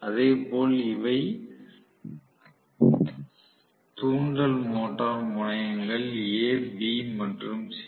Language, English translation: Tamil, Similarly, these are the induction motor terminals a, b and c, okay